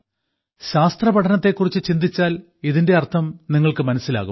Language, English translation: Malayalam, If you remember the study of science, you will understand its meaning